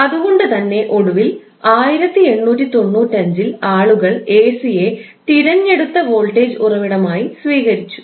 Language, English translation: Malayalam, So, that is why finally around 1895 people accepted AC as a preferred voltage source